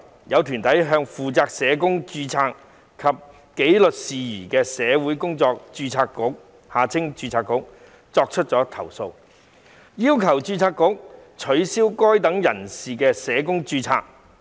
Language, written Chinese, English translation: Cantonese, 有團體向負責社工註冊及紀律事宜的社會工作者註冊局作出投訴，要求註冊局取消該等人士的社工註冊。, Some organizations have lodged complaints to the Social Workers Registration Board the Board which is responsible for the registration and disciplinary matters of social workers demanding the Board to cancel the registration of such persons as a social worker